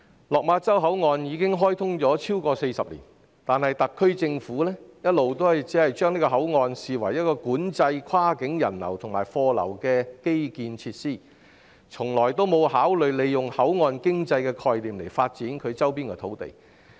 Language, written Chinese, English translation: Cantonese, 落馬洲口岸已開通超過40年，但特區政府一直只視該口岸為管制跨境人流及貨流的基建設施，從未考慮以口岸經濟的概念發展其周邊土地。, The Lok Ma Chau Control Point has been opened for more than 40 years but the Government has all along only regarded it as an infrastructure for controlling cross - boundary flow of people and goods and never considered developing the land in the surrounding areas with the concept of port economy